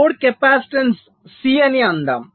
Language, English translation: Telugu, lets say the load capacitance is c